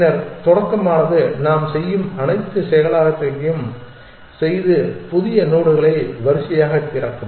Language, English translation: Tamil, Then, start does all the processing that we do and eventually add the new nodes open in sort